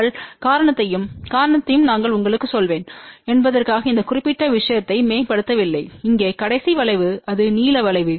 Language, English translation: Tamil, We did not optimize this particular thing for whether I will tell you the reason and the reason is the last curve here which is the blue curve